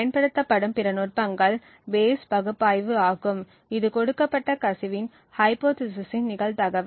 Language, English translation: Tamil, Other techniques used are the Bayes analysis which computes the probability of the hypothesis given the leakage